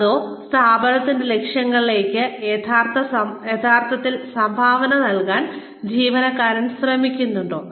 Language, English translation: Malayalam, Or, is the employee, really trying to contribute, to the organization's goals